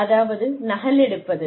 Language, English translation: Tamil, Which means, copying